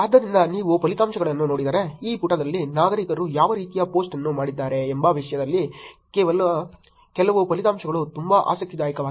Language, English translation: Kannada, So, if you look at the results, some of the results are very interesting in terms of what kind of post were done by citizens for these on this page